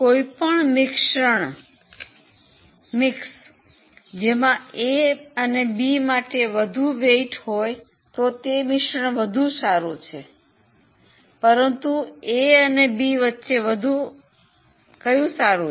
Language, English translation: Gujarati, Any mix which has more weightage for A B is better than any mix which has more weightage for C